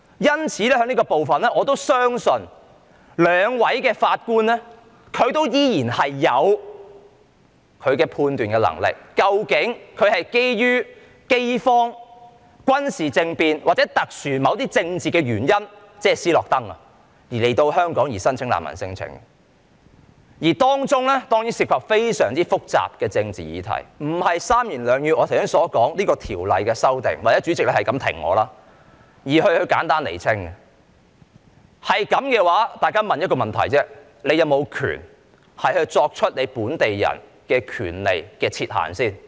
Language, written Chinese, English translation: Cantonese, 在這部分，我相信兩位法官依然有判斷的能力，究竟那些人是基於飢荒、軍事政變或某些特殊的政治原因來香港申請難民聲請，而當中當然涉及非常複雜的政治議題，不是我剛才三言兩語可以解釋清楚與《條例草案》的修訂有關的，或在主席不停打斷我的發言的情況下就可以簡單釐清的。, Regarding this part I believe that two judges are still capable of judging which arrivals have made refugee claims because of famine a military coup or some special political reasons as in the case of SNOWDEN for example . It certainly involves very complicated political issues that could not be clearly explained by me in a few words just now as related to the amendments in the Bill or clarified in a simple manner amid Presidents incessant interruptions to my speech either